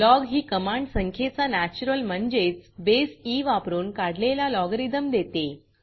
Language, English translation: Marathi, The command log means the natural logarithm of a number, that is, to the base e